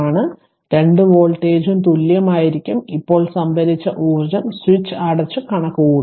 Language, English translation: Malayalam, So, both voltage will be equal now we compute the stored energy with the switch closed